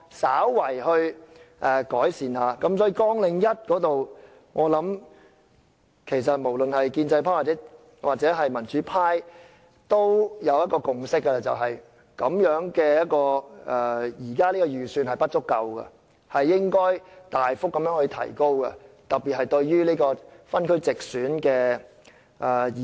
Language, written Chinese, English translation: Cantonese, 所以，在綱領1方面，我想不論是建制派或民主派均有共識，便是現時的預算開支是不足夠的，應該大幅提高，特別是對於地區直選的議員。, Therefore in respect of Programme 1 I believe both the pro - establishment camp and the pro - democracy camp have reached a consensus that the current estimated expenditure is insufficient and it should be increased substantially particularly that of Members returned by geographical constituencies through direct elections